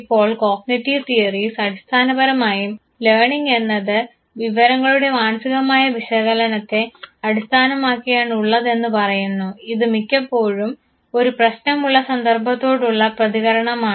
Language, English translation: Malayalam, Now cognitive theories basically say that learning is based on mental information processing which is often in response to a problem situation